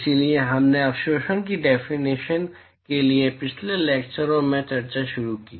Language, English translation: Hindi, So, we initiated discussion in the last lectures for definitions of absorptivity